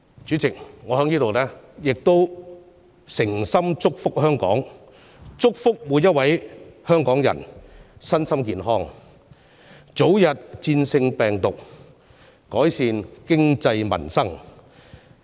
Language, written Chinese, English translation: Cantonese, 主席，我在此誠心祝福香港，祝福每位香港人身心健康，早日戰勝病毒，並見到經濟民生得以改善。, Chairman I would like to take this opportunity to express my best wishes to Hong Kong . I hope all Hong Kong people can enjoy good health win the battle against the virus and see improvement in the economy and their livelihood